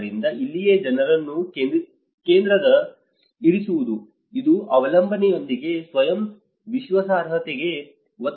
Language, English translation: Kannada, So, this is where the putting people in self in a center which actually emphasizes on self reliability versus with the dependency